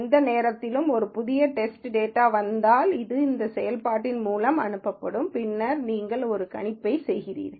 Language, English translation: Tamil, And any time a new test data comes in, it is sent through this function and then you make a prediction